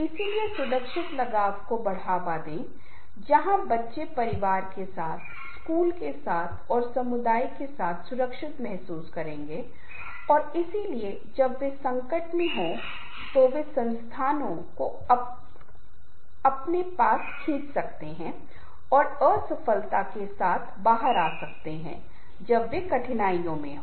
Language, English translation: Hindi, so, therefore, foster the secure attachment where the children will feel secure, with the family, with the school and with the community, and that why, when they are in crisis, they can draw the resources from their and come out with success when there are difficulties